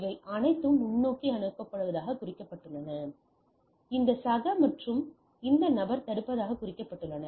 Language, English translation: Tamil, And there are so these are all marked as forwarding where as this fellow, this fellow and this fellow are marked as blocking